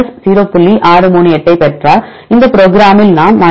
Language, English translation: Tamil, 638 here also we see in this program we get 0